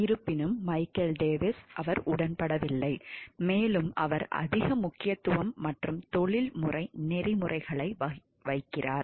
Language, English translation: Tamil, However Michael Davis he disagrees and he places far greater emphasis and professional codes of ethics